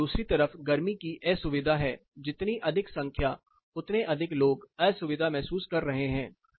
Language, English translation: Hindi, So, it is on the other side of it heat discomfort the higher the number is the more people are saying I am feeling more heat discomfort